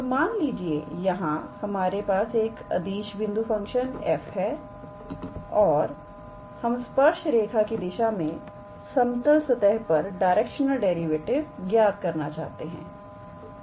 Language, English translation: Hindi, So, what here says is that we have a scalar point function, let us say f and we want to calculate the directional derivative along any tangent line to the level surface